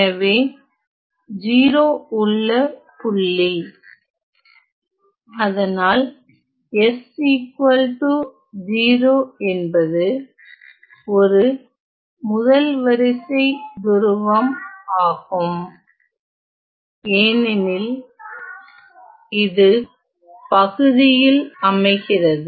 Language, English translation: Tamil, So, the point of 0, so, s equal to 0, is a 1st order pole because of the fact that, it appears in the denominator